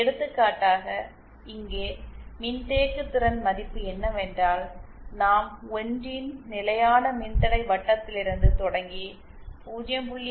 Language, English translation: Tamil, For example the capacitance value here is thatÉ We start from a constant reactance circle of 1 and reach a constant reactance circle of 0